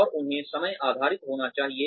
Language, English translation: Hindi, And, they should be time based